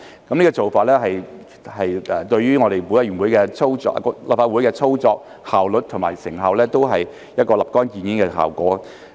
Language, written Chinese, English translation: Cantonese, 這個做法對於我們立法會的操作、效率及成效均有一個立竿見影的效果。, This approach has an immediate effect on the operation efficiency and effectiveness of our Legislative Council